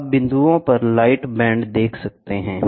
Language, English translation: Hindi, You see light bands at points